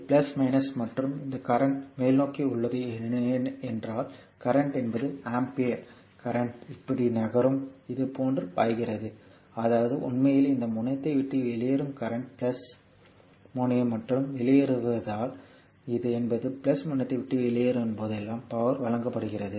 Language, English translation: Tamil, So, this is plus minus and this current is upward means current is your what you call this one ampere current is moving like this, flowing like this; that means, current actually leaving this terminal the plus plus terminal as well as a leaving means it is power supplied right whenever current leaving the plus terminal this power it is power supplied